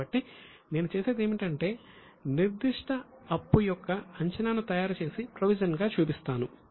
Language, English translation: Telugu, So, what I do is I make the best estimate of a particular liability and show it as a provision